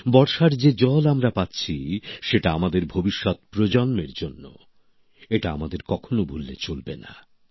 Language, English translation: Bengali, The rain water that we are getting is for our future generations, we should never forget that